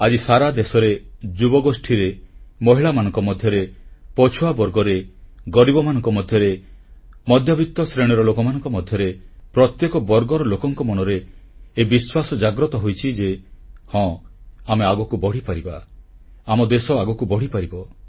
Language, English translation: Odia, Today, the entire country, the youth, women, the marginalized, the underprivileged, the middle class, in fact every section has awakened to a new confidence … YES, we can go forward, the country can take great strides